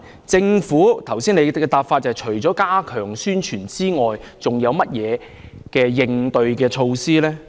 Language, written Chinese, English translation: Cantonese, 政府除剛才表示會加強宣傳外，還有甚麼應對措施？, Apart from enhancing publicity as mentioned just now what other corresponding measures will the Government take?